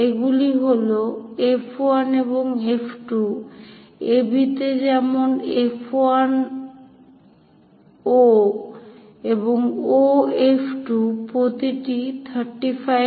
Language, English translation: Bengali, Those are F 1 and F 2 on AB such that F 1 O and O F 2 are 35 mm each